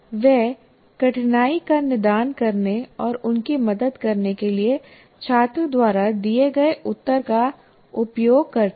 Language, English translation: Hindi, And she uses the answer given by the student to diagnose the difficulty and help them